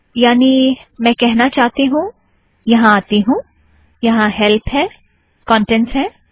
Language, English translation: Hindi, What I mean is lets come here, there is Help, Contents